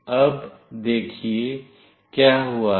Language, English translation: Hindi, Now, see what has happened